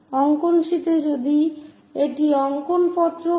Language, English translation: Bengali, On the drawing sheet if this is the drawing sheet